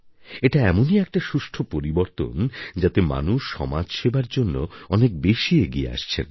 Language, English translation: Bengali, It is a change where people are increasingly willing to contribute for the sake of service to society